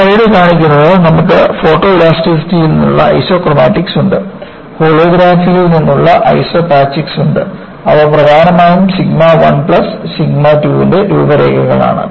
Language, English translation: Malayalam, And, what this slide show is, you have the Isochromatics from Photoelasticity, you have Isopachics from Holography, which are essentially contours of sigma 1 plus sigma 2